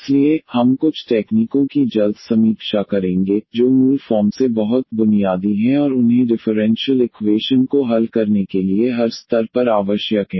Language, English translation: Hindi, So, we will quickly review some of the techniques which are very fundamental of basics and they are required at a every stage for solving the differential equations